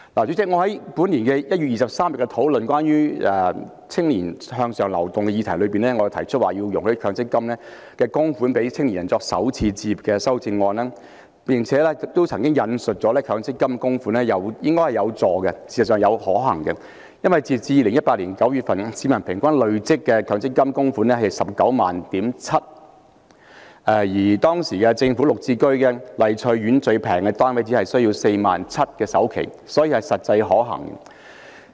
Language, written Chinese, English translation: Cantonese, 主席，我在本年1月23日討論關於青年向上流動的議題時，提出容許利用強積金供款讓青年人作首次置業的修正案，亦曾指出這是能夠協助他們和實際可行的做法，因為截至2018年9月，市民平均累積的強積金供款是 197,000 元，而當時政府綠表置居計劃下的麗翠苑最便宜的單位，首期只是 47,000 元，所以是實際可行的。, President in the discussion on the subject of upward mobility of young people on 23 January this year I proposed an amendment allowing the use of MPF contributions by young people to buy starter homes and I also pointed out that this could help them and would be a practical approach because the average accumulated MPF contributions of the people as at September 2018 was 197,000 and at that time the cheapest unit of Lai Tsui Court under the Governments Green Form Subsidized Home Ownership Scheme required only 47,000 for down payment so my method is practicable . President using MPF money to buy homes is a method that kills many birds with one stone